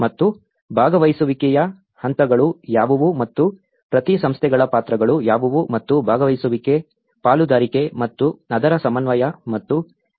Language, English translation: Kannada, And what are the stages of the participation and what are the roles of each organizations and there is a participation, partnership and also the coordination and the supervision of it